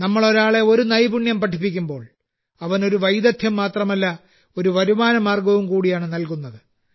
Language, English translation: Malayalam, When we teach someone a skill, we not only give the person that skill; we also provide a source of income